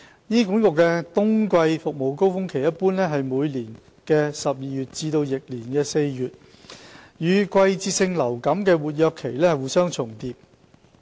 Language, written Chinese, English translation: Cantonese, 醫管局的冬季服務高峰期一般為每年12月至翌年4月，與季節性流感的活躍期互相重疊。, The winter surge of HAs service demand usually lasts from December to April of the following year and overlaps with the influenza season